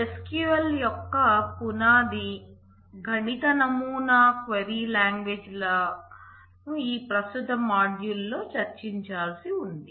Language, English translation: Telugu, The foundational mathematical model of SQL the query languages are to be discussed in this present module